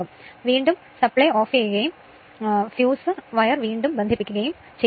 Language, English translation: Malayalam, Again you have to the your what you call again you have to switch off the supply and you have to reconnect the fuse wire right